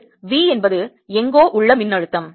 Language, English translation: Tamil, it is v is the potential somewhere